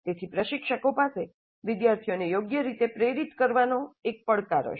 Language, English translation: Gujarati, So the instructors will have a challenge in motivating the students properly